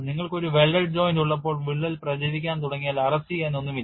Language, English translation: Malayalam, So, this was the difference when you have a welded joint once the crack starts propagating there is nothing to arrest